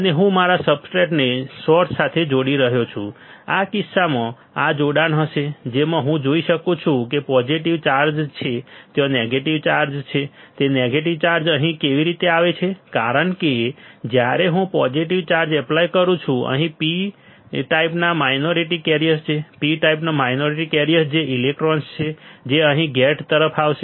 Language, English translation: Gujarati, , In this case this will be the connection, in which I can see that there is a positive charge there is a negative charge, negative charge, how it comes here because when I apply positive charge here then the minority carriers from P type, minority carriers from the P type that are electrons present that will come here towards the gate